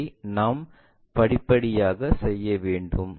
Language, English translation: Tamil, That we have to do step by step